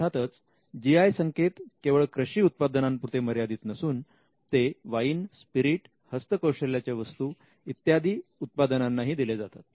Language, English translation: Marathi, A GI is not limited to agricultural products it extends to other products like wine, spirits, handicrafts etcetera